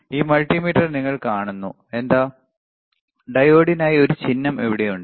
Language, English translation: Malayalam, Yes, you see in this multimeter, there is a symbol for diode here